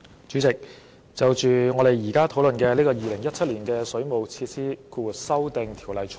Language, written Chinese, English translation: Cantonese, 主席，我支持我們現時討論的《2017年水務設施條例草案》。, President I speak in support of the Waterworks Amendment Bill 2017 the Bill under discussion